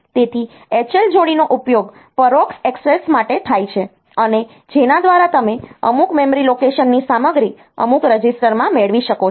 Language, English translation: Gujarati, So, H L pair is used for indirect access, and by which you can you can get the content of some memory location to some register